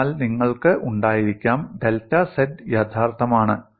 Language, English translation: Malayalam, So you could have, delta z is real